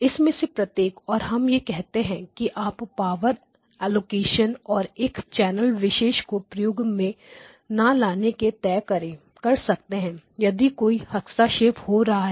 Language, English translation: Hindi, So, each of these and we said that you can do power allocation you can choose not to use a particular channel if there is interference